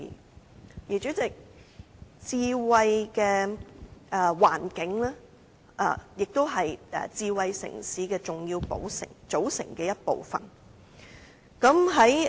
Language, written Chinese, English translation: Cantonese, 代理主席，智慧的環境是智慧城市的重要組成部分。, Deputy President smart environment is a key component of a smart city